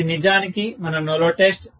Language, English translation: Telugu, This is actually our no load test, okay